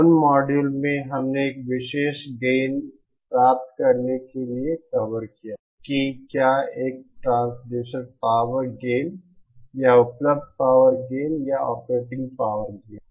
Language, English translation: Hindi, In those modules, we covered how to achieve a particular gain whether it is a transducer power gain or available power gain or operating power gain